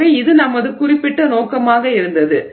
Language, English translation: Tamil, So, this was our particular, uh, uh, particular aim